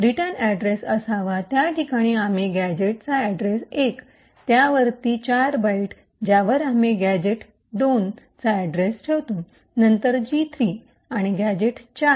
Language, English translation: Marathi, In the location where the return address should be present, we put the address of the gadget 1, 4 bytes above that we put the address of gadget 2, then gadget 3 and gadget 4